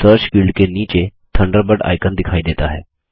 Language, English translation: Hindi, The Thunderbird icon appears under the Search field